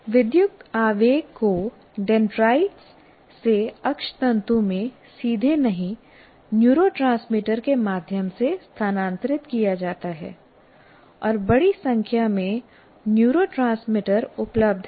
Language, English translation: Hindi, And when the electrical impulse is transferred from dendrites to axon through not directly, but through neurotransmitters and there are a large number of neurotransmitters available